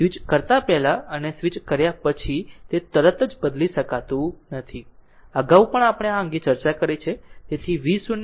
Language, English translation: Gujarati, Just before switching and just after switching, it cannot change instantaneously; earlier also we have discussed this